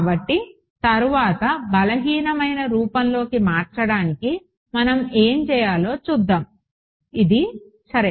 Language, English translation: Telugu, So, subsequently we will see what we need to do to convert it into the weak form this is fine ok